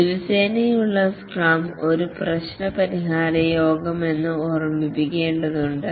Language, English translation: Malayalam, It is important to remember that the daily scrum is not a problem solving meeting